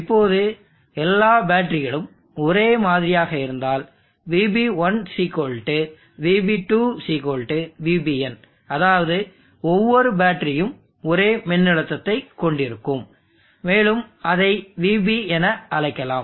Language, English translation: Tamil, Now if all the batteries have the same spec then Vb1 = Vb2 = Vbn that is each of the battery will have the same voltage and let us call that one as Vb